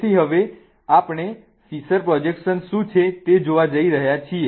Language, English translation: Gujarati, So, we are going to look at what fissure projection is